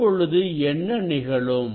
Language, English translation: Tamil, What will happen